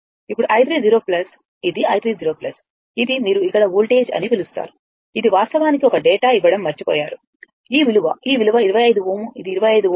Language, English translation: Telugu, Now, i 3 0 plus this is your i 3 0 plus it is your what you call voltage here it is actually one data is missing; this value this value is 25 ohm right, this is 25 ohm